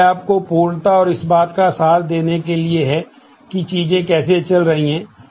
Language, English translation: Hindi, This is more for completeness and to give you an essence of how things have been going